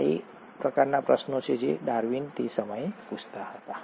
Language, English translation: Gujarati, These are the kind of questions that Darwin was asking at that point of time